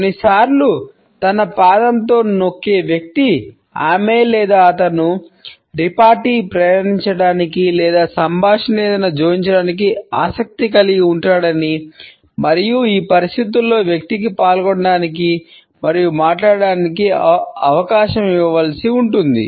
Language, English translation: Telugu, Sometimes, it may also mean that the person who is tapping with his or her foot is interested in passing on a repartee or to add something to the dialogue and in this situation the person has to be given an opportunity to participate and speak